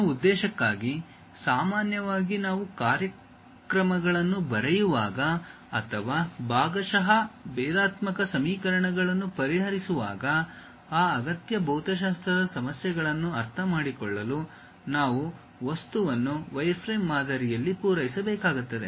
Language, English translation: Kannada, For that purpose, usually when we are writing programs or perhaps solving partial differential equations, to understand those essential physics issues we have to supply the object in a wireframe model